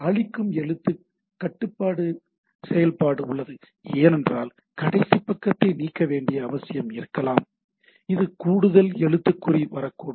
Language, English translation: Tamil, So, there is a erase character control function, because there may be need to delete the last character which may be something extra character is coming into